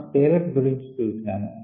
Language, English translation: Telugu, we talked of scale up